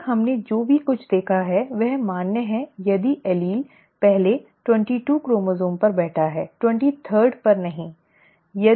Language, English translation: Hindi, Whatever we have seen so far is valid if the allele sits on the first 22 chromosomes, not the 23rd